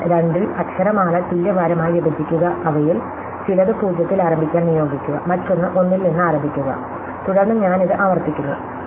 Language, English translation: Malayalam, So, split the alphabet in the two of equal weight assign some of them to start with 0Õs, the other to start with 1, then I recursive it is solve this